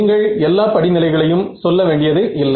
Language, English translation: Tamil, You do not have to list all the steps, but what is the main step